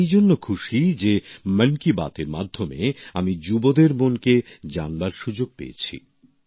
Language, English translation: Bengali, I am happy also about the opportunity that I get through 'Mann Ki Baat' to know of the minds of the youth